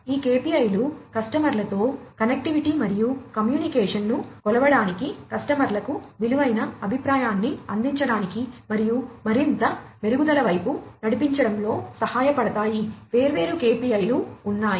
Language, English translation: Telugu, These KPIs also help measure the connectivity and communication with customers, providing valuable feedback to the customers, and driving towards further improvement; so there are different KPIs